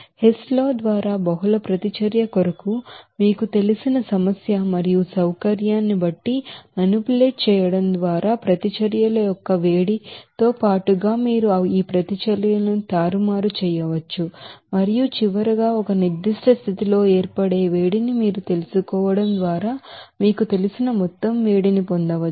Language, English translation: Telugu, Now for the multiple reaction by Hess law, you can manipulate these reactions along with that heat of reactions just by manipulating according to your you know problem and also convenience and then finally, you can get that total heat of you know reaction based on this you know heat of formation at a particular condition